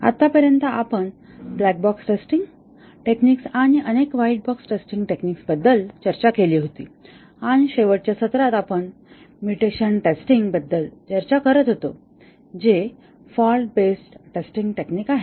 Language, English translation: Marathi, So far we had discussed about black box testing techniques and several white box testing techniques and in the last session, we were discussing about the mutation testing which is a fault based testing technique